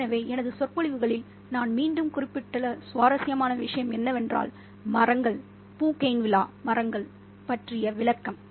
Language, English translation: Tamil, So the interesting thing here once again, which I've made a reference to in my lectures, is the description of the trees, the Bougainville tree